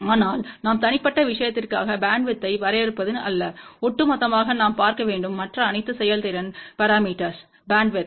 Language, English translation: Tamil, But it is not that we define bandwidth for just individual thing, we have to look at the overall bandwidth for all the other performance parameter